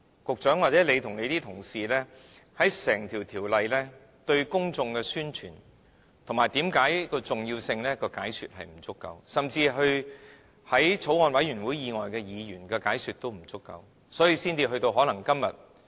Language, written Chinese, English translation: Cantonese, 局長，或許你和你的同事在整項《條例草案》方面，對公眾的宣傳、對其重要性的解說並不足夠，甚至對法案委員會以外的議員的解說也不足夠，所以才可能造成今天......, Secretary perhaps you and your colleagues have not explained thorough enough to the public of the importance of the entire Bill during the publicity campaign or even you have not adequately explained the Governments proposal to Members other than those Bills Committee Members